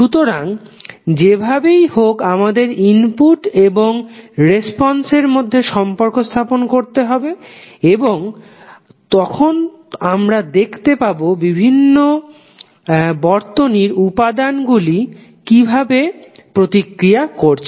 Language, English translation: Bengali, So, we have to somehow to establish the relationship between input and response and then we will see how the various elements in the circuit will interact